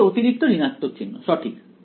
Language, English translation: Bengali, One extra minus sign right